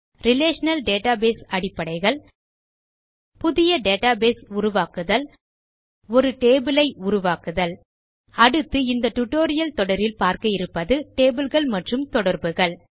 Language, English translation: Tamil, Relational Database basics Create a new database, Create a table The next tutorial in this series is tables and relationships